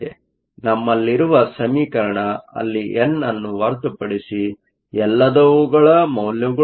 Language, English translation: Kannada, So, What we have is an equation where everything is known except for n a